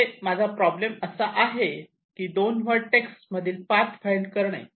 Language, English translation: Marathi, so my problem is to find a path between these two vertices